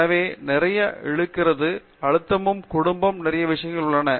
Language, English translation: Tamil, So, there is like lot of pulls and pressures, family, lots of things